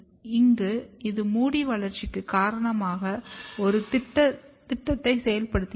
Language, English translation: Tamil, And here it activates a program which is responsible for hair development